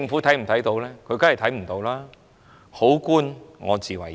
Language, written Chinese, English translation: Cantonese, 當然不，還要好官我自為之。, Of course not and our senior officials can still do things their own way